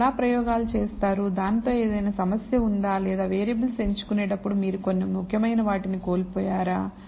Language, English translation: Telugu, What how did the how did you conduct the experiments, whether there was any problem with that or the variables when you select and did you miss out some important ones